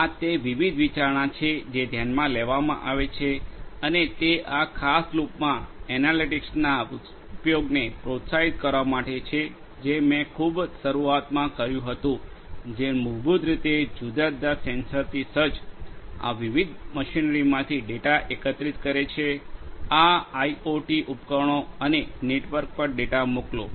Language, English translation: Gujarati, These are the different considerations that are taken into these are the ones that are taken into consideration in order to motivate the use of analytics in that particular loop which I stated at the very beginning which basically collects the data from these different machinery fitted with different sensors, these IoT devices and send the data over the network